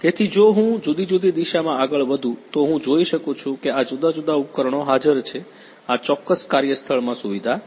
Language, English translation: Gujarati, So, if I will move in different direction, I can see that this is the different equipments are present, this is the facility design in the particular workplace